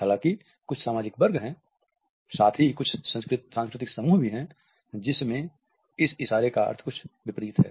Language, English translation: Hindi, However, there are certain societal sections, as well as certain cultural groups in which this gesture means something opposite